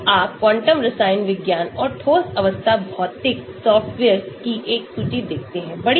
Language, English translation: Hindi, so you see a list of quantum chemistry and solid state physics softwares